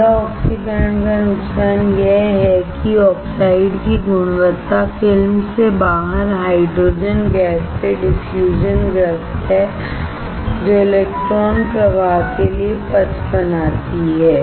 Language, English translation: Hindi, The disadvantage of wet oxidation is that the quality of the oxide suffers due to diffusion of the hydrogen gas out of the film which creates paths for electron flow